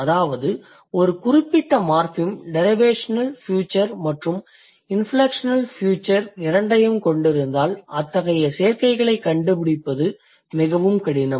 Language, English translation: Tamil, So, that means you cannot put both like one particular morphem which will also have derivational feature and the inflectional feature